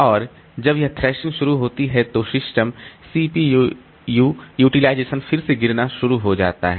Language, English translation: Hindi, And when this thrashing initi initiates then the system that the CPU utilization will start dropping again